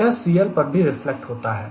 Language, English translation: Hindi, and then i reflects on c l as well